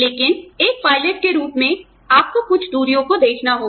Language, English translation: Hindi, But, as a pilot, you are required to see, certain distances